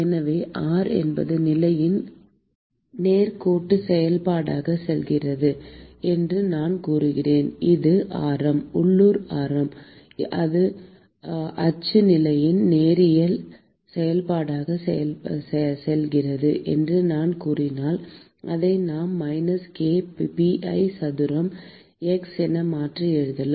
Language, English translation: Tamil, So, supposing I say that r goes as a linear function of the position if I say that the radius of the local radius goes as the linear function of the axial position, then I could simply rewrite this as minus k pi a square x square into dT by dx, into dT by dx